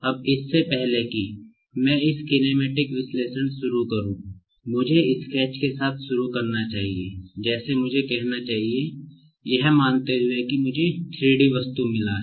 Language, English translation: Hindi, Now, before I start with this kinematic analysis, let me start with the very scratch like the very beginning I should say, supposing that I have got a 3 D object